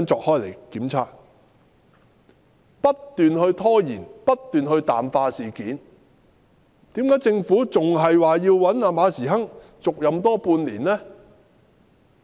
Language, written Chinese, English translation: Cantonese, 港鐵公司不斷拖延、不斷淡化事件，為何政府仍然要馬時亨續任半年呢？, MTRCL just keeps on procrastinating and glossing over the incidents but why does the Government still insist on asking Prof Frederick MA to stay in his position for another half a year?